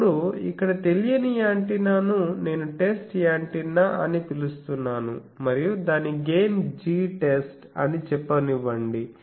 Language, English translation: Telugu, Now, to the antenna unknown antenna here I am calling test antenna and it is gain let us say G test